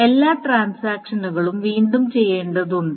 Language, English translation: Malayalam, So all the transaction needs to be redone